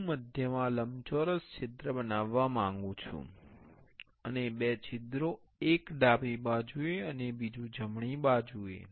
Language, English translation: Gujarati, I want to make a rectangular hole in the center, and two holes in one on the left side, and another on the right side